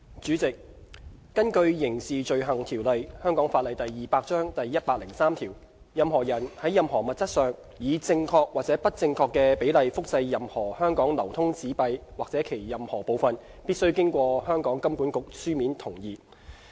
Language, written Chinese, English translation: Cantonese, 主席，根據《刑事罪行條例》第103條，任何人在任何物質上，以正確或不正確的比例複製任何香港流通紙幣或其任何部分，必須經香港金融管理局書面同意。, President according to section 103 of the Crimes Ordinance a person who reproduces on any substance whatsoever and whether or not to the correct scale any Hong Kong currency note or any part of a Hong Kong currency note must first obtain the consent in writing of the Hong Kong Monetary Authority HKMA